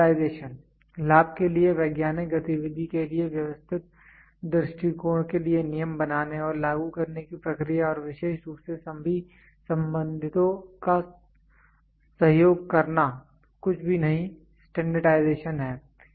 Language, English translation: Hindi, Standardization: the process of formulating and applying rules for orderly approach to a scientific activity for the benefit and with the cooperation of all the concerned in particular is nothing, but standardization